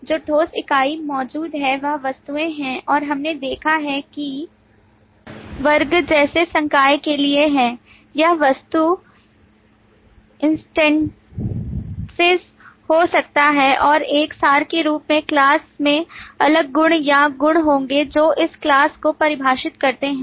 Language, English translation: Hindi, The concrete entity that exists are objects and we have seen that for the class, like faculty, this could be the objecting stances, and class as an abstract will have different properties or attributes that define this task